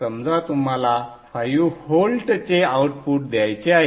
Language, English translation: Marathi, Let us say you want to give an output of 5 volts